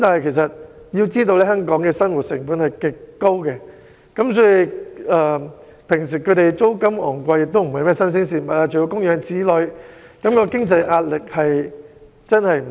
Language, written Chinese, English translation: Cantonese, 然而，要知道香港的生活成本非常高，租金高昂並非甚麼新鮮事，供養子女的經濟壓力也十分大。, However we ought to know that the living cost in Hong Kong is very high and that high rents are not fresh news while the financial pressure of supporting children is tremendous